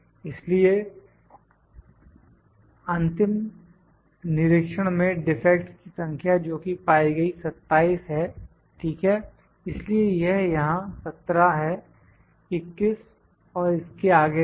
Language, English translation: Hindi, So, number of defects in the final inspection those are found is 27, ok, so it is 17 here, 21 so on